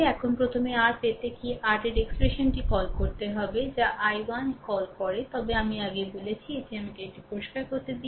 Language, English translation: Bengali, Now first is to first is to get your what to call the expression of your what you call i 1, I told you earlier also let me clean it this